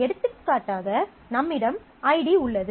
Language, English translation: Tamil, So, we have for example id